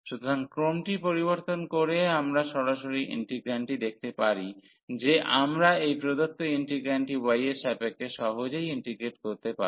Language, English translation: Bengali, So, by changing the order we can see directly looking at the integrand, that we can easily integrate with respect to y this given integrand